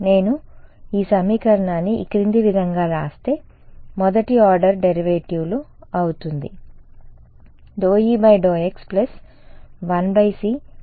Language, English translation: Telugu, Supposing I write this equation as in the following way becomes the first order derivatives